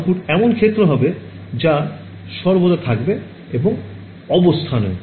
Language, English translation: Bengali, Output will be fields that all times and in positions now what